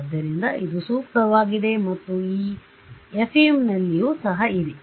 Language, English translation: Kannada, So, this is perfect for and that was also the case in FEM